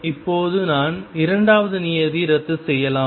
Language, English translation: Tamil, Now, I can cancel the second term